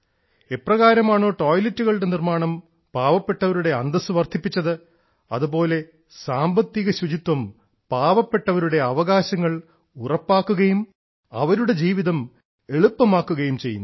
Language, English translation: Malayalam, The way building of toilets enhanced the dignity of poor, similarly economic cleanliness ensures rights of the poor; eases their life